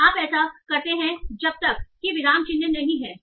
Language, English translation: Hindi, And you do that until there is a punctuation